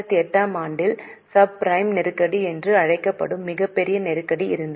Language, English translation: Tamil, There was a very big crisis in 2008 known as subprime crisis